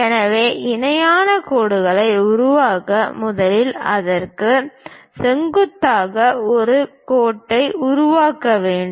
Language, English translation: Tamil, So, to construct parallel lines, first of all, we have to construct a perpendicular line to this